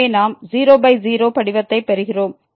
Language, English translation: Tamil, So, we are getting by form